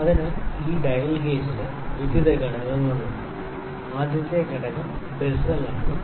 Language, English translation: Malayalam, So, this dial gauge has various components; the first component is bezel